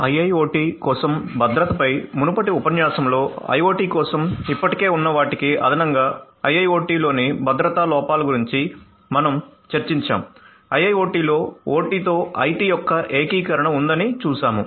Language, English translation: Telugu, So, in the previous lecture on Security for IIoT we discussed about the security vulnerabilities in IIoT which is in addition to what already exists for IoT, we have seen that there is an integration of IT with OT in IIoT